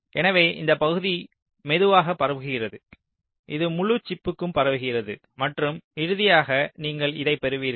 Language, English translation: Tamil, so you proceed, this region slowly spreads, it spreads across the whole chip and many